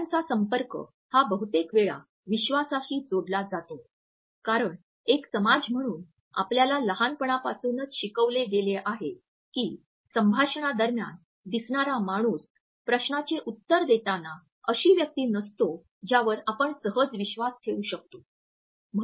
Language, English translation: Marathi, Eye contact is often linked with the trust issue because as a society we have been taught right from the childhood that someone who looks away during the conversation, while answering a question is not a person whom we can trust easily